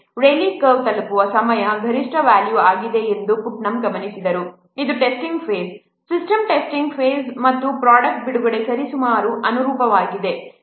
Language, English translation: Kannada, Putnam observed that the time at which the Raleigh curve reaches its maximum value, it corresponds to the system testing after a product is released